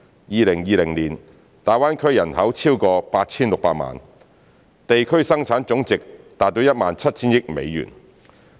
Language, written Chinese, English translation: Cantonese, 2020年，大灣區人口超過 8,600 萬，地區生產總值達 17,000 億美元。, As one of the most open and economically vibrant regions in China GBA has a population exceeding 86 million with a gross domestic product of approximately US1.7 trillion in 2020